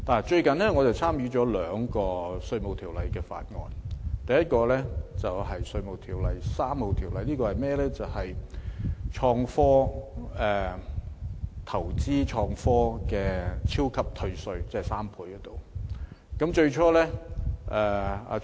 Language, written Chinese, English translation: Cantonese, 最近我參加了兩個涉及《稅務條例》的法案委員會，第一個有關《2018年稅務條例草案》，這法案涉及投資創科的超級退稅，即退稅3倍。, I have recently joined two Bills Committees concerning the Inland Revenue Ordinance . One of which is to scrutinize the Inland Revenue Amendment No . 3 Bill 2018 which aims at providing a 300 % super tax concession for expenditures incurred in relation to investments in research and development